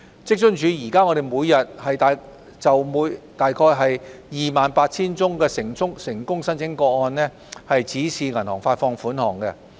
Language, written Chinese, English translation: Cantonese, 職津處現時每天約就 28,000 宗成功申請個案指示銀行發放款項。, Currently WFAO gives out bank instructions to disburse payments to about 28 000 successful applications on a daily basis